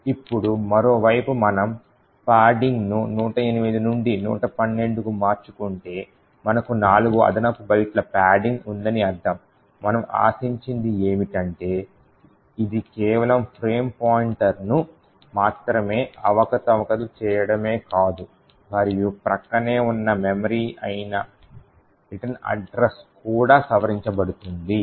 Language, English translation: Telugu, Now if on the other hand we change padding from 108 to 112 which means that we have four extra bytes of padding, what we can expect is that it is not just the frame pointer that gets manipulated but also the adjacent memory which essentially is the return address would also get modified